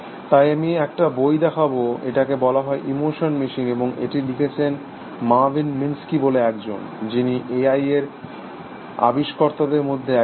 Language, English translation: Bengali, So, I will pointed to a book, it is called the emotion machine, and it is written by a guy called Marvin Minsky, was also one of the founders of A I